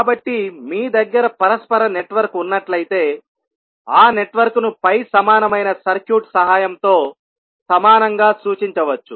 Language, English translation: Telugu, So, if you have a reciprocal network, that network can be represented equivalently with the help of pi equivalent circuit